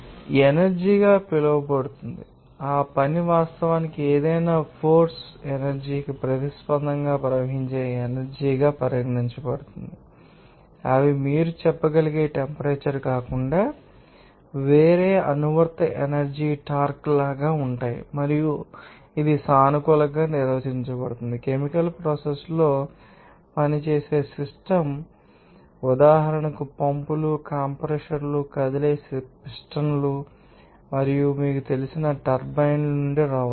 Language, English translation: Telugu, So, that will be called as work energy and that work is actually regarded as energy that flows in response to any driving force they are like applied force torque other than temperature you can say and it is defined as the positive for if it flows from the system that is work done by the system in chemical processes work may for instance come from pumps, compressors moving pistons and other moving you know turbines